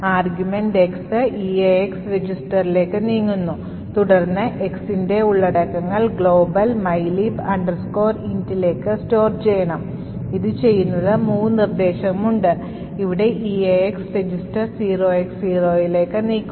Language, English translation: Malayalam, So, the argument X’s move to the EAX register then the contents of X should be stored into the global mylib int, in order to do this, we have this mov instruction where EAX register is moved to 0X0